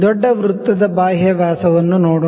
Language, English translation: Kannada, Let us see the external dia of the bigger circle